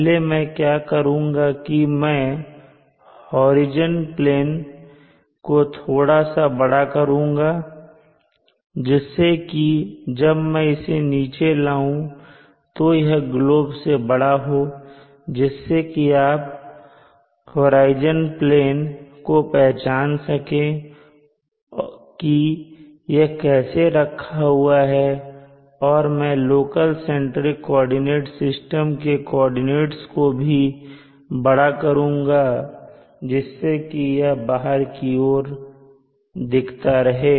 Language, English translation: Hindi, First what I will do is I will make the horizon plane a bit bigger such that when I push it down it will stick out of the globe so that you will able to recognize where the horizon plane is and how it is oriented and also I will make the coordinate axis of the local centric system little longer so that when we push it down to the center of the earth this will still project out